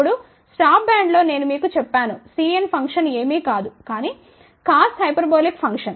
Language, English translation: Telugu, Now, in the stop band I had told you C n function is nothing, but cos hyperbolic function